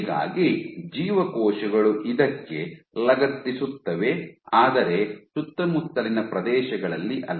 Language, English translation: Kannada, So, cells will attach to this, but not on the surrounding areas